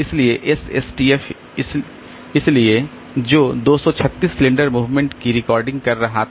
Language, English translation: Hindi, So, SSTF, so it was requiring 236 cylinder movement but this will require 208 cylinder movement